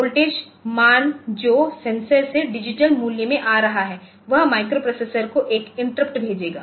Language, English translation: Hindi, So, this the voltage value that is coming from the sensor into the digital value it will send an interrupt to the microprocessor